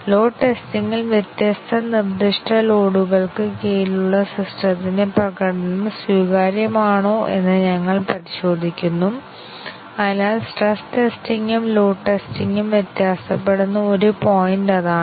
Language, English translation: Malayalam, In load testing, we check whether the performance of the system under different specified loads is acceptable so that is one point in which the stress testing and load testing differ is that